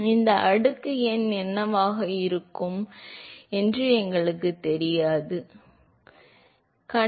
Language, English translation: Tamil, So, note that we never knew what this exponent n is suppose to be